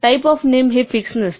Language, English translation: Marathi, The type of a name is not fixed